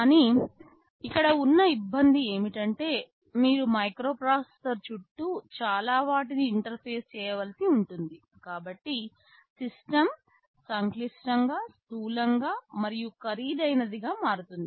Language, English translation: Telugu, But, the trouble is that since you have to interface so many things around a microprocessor, the system becomes complex, bulky and also expensive